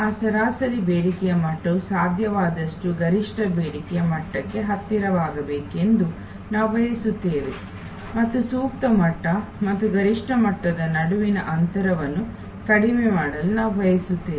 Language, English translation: Kannada, Then we want that average demand level to be as close to the optimum demand level as possible and we also want to reduce the gap between the optimal level and the maximum level